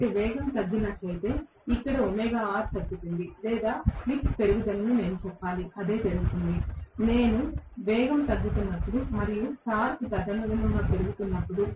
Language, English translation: Telugu, So, if there is a reduction in the speed, so here omega R decreases or I should say slip increases that is what happens, when I am looking at you know the speed coming down and the torque increasing correspondingly